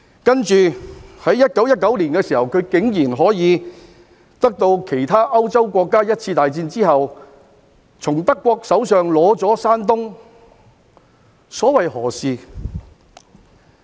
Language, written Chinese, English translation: Cantonese, 接着，在1919年，她竟然可以像其他歐洲國家在一次大戰後一樣，從德國手上取得山東，所謂何事？, As a result China had been at rock bottom not being able to climb back up for a long time . Then in 1919 Japan even managed to take Shandong from Germany just as other European countries had done after the First World War . So what was the purpose?